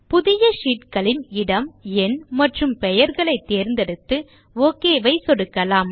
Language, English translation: Tamil, You can choose the position, number of sheets and the name and then click on the OK button